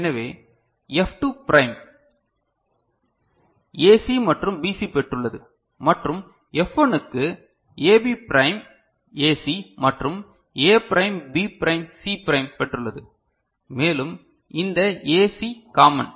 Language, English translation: Tamil, So, F2 prime has got AC and BC and F1 has got AB prime AC and A prime B prime C prime and this AC is common